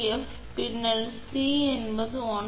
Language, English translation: Tamil, 6 so that is 1